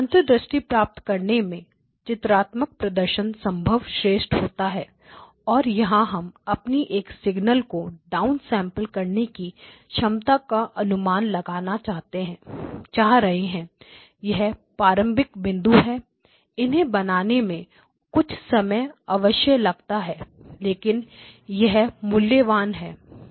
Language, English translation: Hindi, So, the pictorial representation this is usually the best way to get the insights and all we are going to invoke here at this point is our ability to down sample a signal down sample a signal, up sample a signal, so here is a starting point this stakes a little bit of time to draw but it is worth the effort